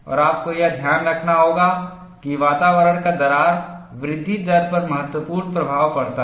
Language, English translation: Hindi, And you will have to keep it note, that environment has a significant influence on crack growth rate